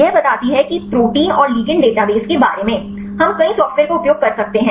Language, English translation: Hindi, It say given the protein and database of ligands; we can use several software